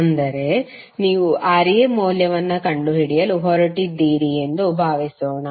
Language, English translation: Kannada, That means suppose you are going to find out the value of Ra